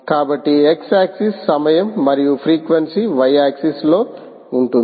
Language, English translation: Telugu, so x axis is the time and frequency is along the y axis